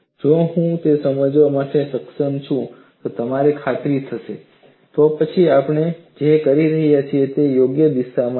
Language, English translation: Gujarati, If I am able to explain that and you will get convinced, then what we are doing is the right direction